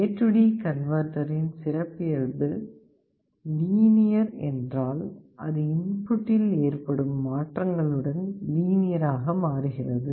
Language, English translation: Tamil, If the characteristic of the A/D converter is linear then it changes linearly with changes in the input